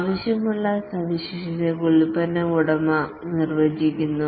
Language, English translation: Malayalam, The product owner defines the features that are required